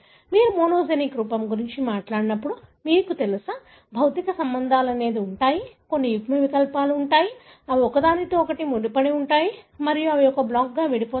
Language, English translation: Telugu, When you talk about monogenic form, there are, you know, physical linkages, there are some alleles, they are linked to each other and they segregate as a block